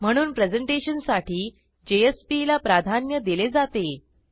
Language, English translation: Marathi, Therefore for presentation purpose JSP is preferred